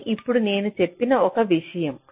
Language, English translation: Telugu, this is one thing i just now mentioned